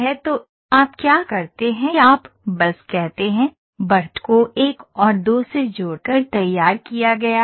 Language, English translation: Hindi, So, what you do is you just say, edge is drawn connecting 1 and 2